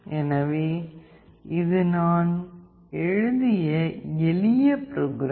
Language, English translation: Tamil, So, this is a simple code that I have written